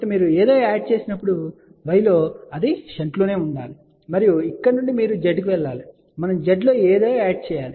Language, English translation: Telugu, So, if you are adding something, in y it has to be in shunt and then from here you went to Z, we have to add something in z